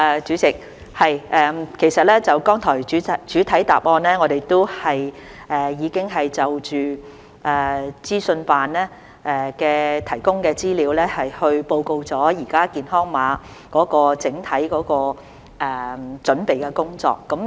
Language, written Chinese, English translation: Cantonese, 主席，其實剛才在主體答覆中，我們已就資科辦提供的資料報告了現時健康碼的整體準備工作。, President in fact in the earlier main reply we have already reported on the overall preparatory work for the health code with reference to the information provided by OGCIO